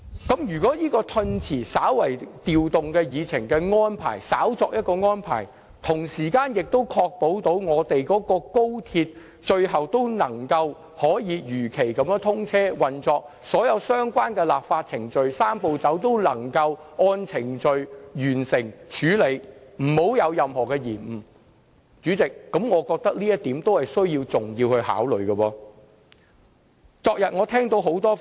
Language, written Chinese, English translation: Cantonese, 不過，如果調動議程押後審議《條例草案》的安排，能夠確保高鐵如期通車，而所有相關立法程序和"三步走"亦能一一完成，沒有任何延誤，那麼我認為這也是重要的考慮因素。, However if this attempt to rearrange the order of agenda items by postponing the scrutiny of the Bill does help to ensure the commissioning of XRL as scheduled and the completion of all necessary legislative procedures and the Three - step Process without delay I would say this is an important consideration as well